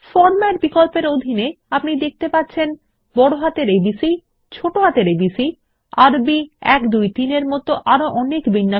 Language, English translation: Bengali, Under the Format option, you see many formats like A B C in uppercase, a b c in lowercase, Arabic 1 2 3 and many more